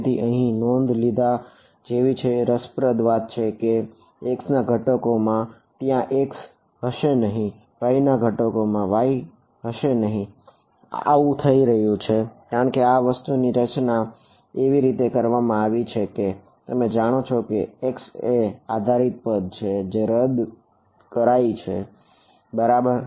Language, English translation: Gujarati, So, it is interesting to note that in the x component there is no x, in the y component there is no y and that just happens because, of the way in which this thing is designed these you know the x dependent terms cancel off ok